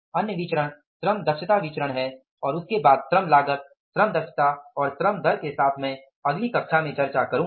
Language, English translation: Hindi, Other variance is labor efficiency variance and there then the telling with the labor cost, labor efficiency and labor rate of pay I will discuss in the next class